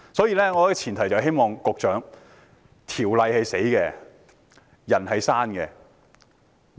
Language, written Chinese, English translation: Cantonese, 因此，我希望對局長說，條例是死的，人是活的。, Therefore I wish to say to the Secretary that the legislation is rigid but human beings are not